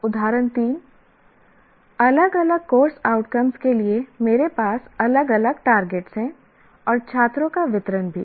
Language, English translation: Hindi, Another one is, I have different targets for different course outcomes and also distribution of students